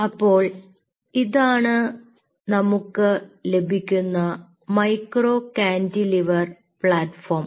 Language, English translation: Malayalam, so this is what we get, ah, micro cantilever plat form